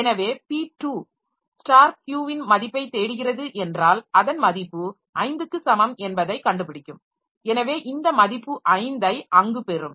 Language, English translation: Tamil, So and then if p2 it looks for the value of star Q, then it will find that the value is equal to 5